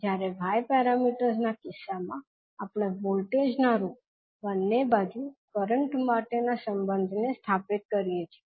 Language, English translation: Gujarati, While in case of y parameters we stabilize the relationship for currents at both sides in terms of voltages